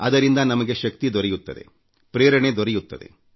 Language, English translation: Kannada, That lends us energy and inspiration